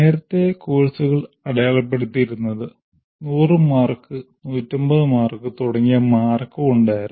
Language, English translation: Malayalam, The courses earlier were characterized by the marks like 100 marks, 150 marks and so on